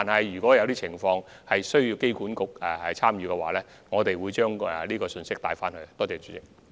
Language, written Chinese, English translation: Cantonese, 如果有情況需要機管局參與，我們會把信息向他們轉述。, If any cases warrant AAHKs participation we will relay the message to them